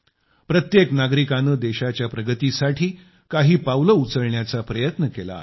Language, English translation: Marathi, Every citizen has tried to take a few steps forward in advancing the country